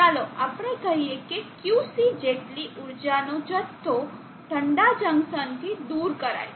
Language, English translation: Gujarati, Let us say Qc amount of energy is removed from the cold junction